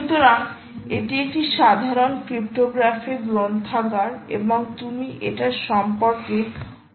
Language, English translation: Bengali, ah, it is also a general purpose cryptographic library library, ok, and you will see a lot about it